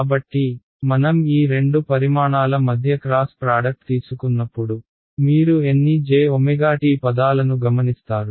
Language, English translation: Telugu, So, when I take the cross product between these two quantities how many j omega t terms will you observe